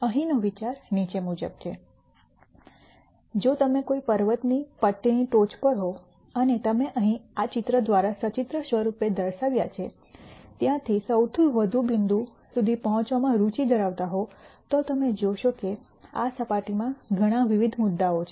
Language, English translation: Gujarati, The idea here is the following, if you are on the top of a mountains keying and you are interested in reaching the bottom most point from where you are pictorially shown through this picture here, you will see that there are several different points in this surface